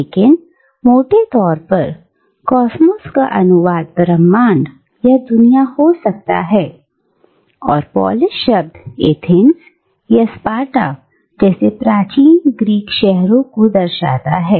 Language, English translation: Hindi, But, roughly speaking, cosmos can be translated as the universe, or the world and the Greek word Polis signifies ancient Greek city States like Athens or Sparta